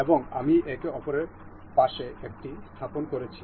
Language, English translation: Bengali, And I am placing it one one beside another